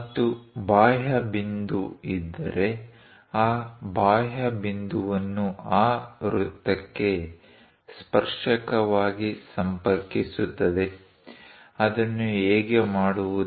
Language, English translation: Kannada, And also if an exterior point is there, connecting that exterior point as a tangent to that circle, how to do that